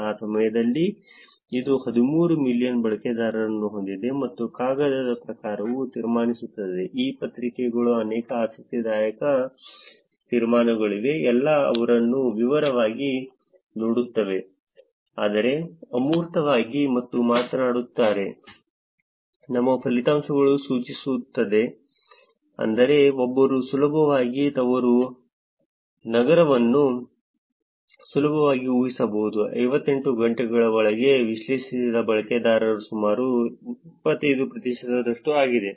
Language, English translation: Kannada, At that point in time, which is 13 million users, and the paper kind of concludes that there are many interesting conclusions in this paper we will look at all of them in detail but in the abstract, they talk about ,our results indicate that, one easily, one can easily infer the home city of around 75 percent of the analyzed users within 58 hours